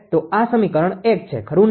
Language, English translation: Gujarati, So, this is equation 1, right